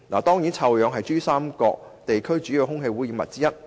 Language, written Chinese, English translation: Cantonese, 當然，臭氧是珠江三角洲地區主要的空氣污染物之一。, Ozone is certainly a major air pollutant in the Pearl River Delta PRD Region